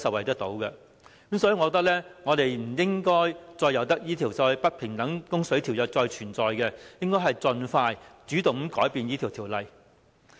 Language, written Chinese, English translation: Cantonese, 所以，我認為我們不應該任由這項"不平等供水條約"繼續存在，應該盡快主動地更改有關協議。, We cannot allow this unfair water supply agreement to continue . Instead we should take the initiative to amend the agreement as soon as possible